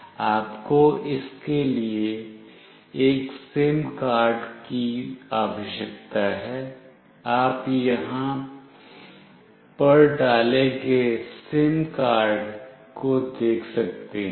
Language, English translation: Hindi, You need a SIM card for it, you can see the SIM card that is put in here